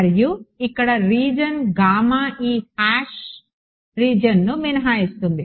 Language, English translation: Telugu, And the region gamma here will exclude this hash region right